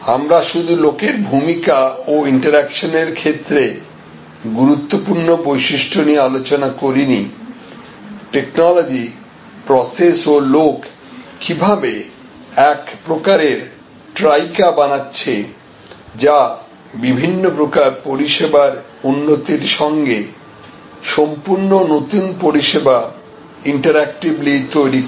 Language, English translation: Bengali, We discussed about the important features not only with respect to role of people and that interaction, but also technology and how people, process and technology firm a certain kind of Trica, which are interactively creating new different types of service improvements as well as creating new services altogether